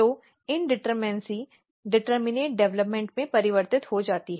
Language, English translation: Hindi, So, the indeterminacy get converted into determinate development